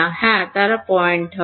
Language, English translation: Bengali, Yeah, they will be point